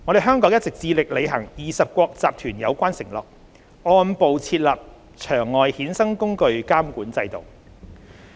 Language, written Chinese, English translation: Cantonese, 香港一直致力履行20國集團有關承諾，按步設立場外衍生工具監管制度。, In line with the commitments made by G20 Hong Kong has been striving to develop a regulatory regime for the OTC derivatives market progressively